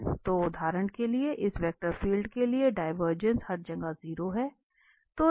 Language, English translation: Hindi, So, for instance, for this vector field the divergence is 0 everywhere